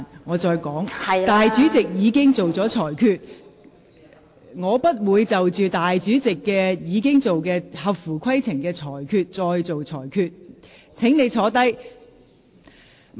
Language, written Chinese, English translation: Cantonese, 我重申，主席已作出裁決，裁定有關議案合乎規程，我不會另行作出裁決，請坐下。, I repeat the President has already ruled that the motion is in order . I will not make another ruling . Please sit down